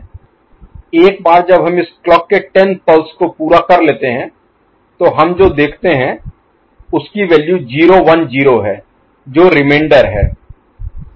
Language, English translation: Hindi, Once we complete this 10 clock pulses right, the value over here what we see is 0 1 0 that is the remainder, ok